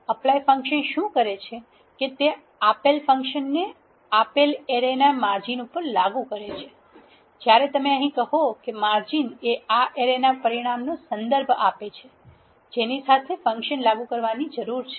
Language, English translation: Gujarati, What apply function does is applies a given function over a margins of a given array, when you say margins here this refers to the dimension of an array along which the function need to be applied